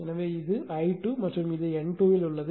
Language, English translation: Tamil, So, this is I 2 and at this N 2